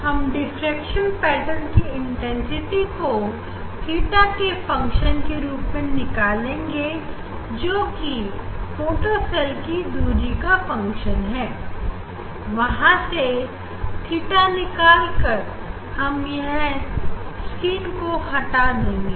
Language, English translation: Hindi, We will measure the intensity of the diffraction pattern as a function of theta, means as a function of a position of the photocells from there you can find out theta